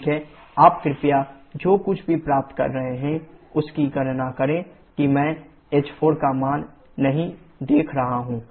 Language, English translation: Hindi, Ok you please calculate the number whatever you are getting that I am not noting the value of h4